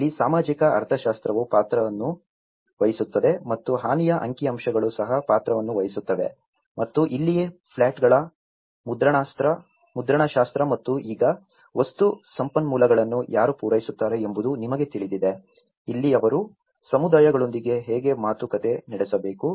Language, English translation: Kannada, This is where the socio economics also play into the role and the damage statistics also play into the role and this is where the typology of plots and now who will supply the material resources, you know that is where they have to negotiate with how communities can also provide some resources to it